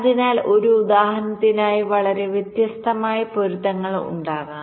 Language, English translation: Malayalam, so, for this example, there can be a so much different kind of matchings